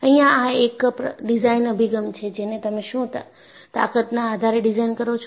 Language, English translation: Gujarati, So, one of the designed approaches, is you do it design based on strength